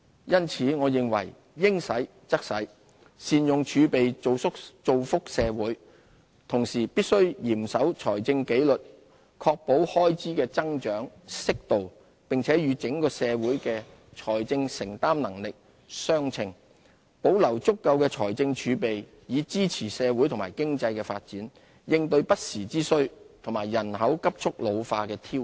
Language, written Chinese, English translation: Cantonese, 因此，我認為應使則使，善用儲備造福社會，同時必須嚴守財政紀律，確保開支的增長適度，並與整個社會的財政承擔能力相稱，保留足夠的財政儲備，以支持社會和經濟的發展，應對不時之需和人口急速老化的挑戰。, As such we should spend only when necessary and make good use of the reserves to benefit the society . At the same time we must maintain strict fiscal discipline and ensure that our expenditure growth will be broadly in line with affordability . We must also maintain adequate fiscal reserves to support socio - economic development deal with emergencies and cope with the challenges posed by a rapidly ageing population